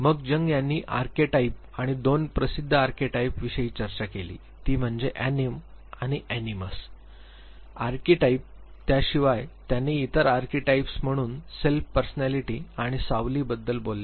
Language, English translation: Marathi, Then Jung talks about the archetype and 2 famous archetypes he talked about was the anima and the animus archetype besides that he talked about self persona and shadow as other archetypes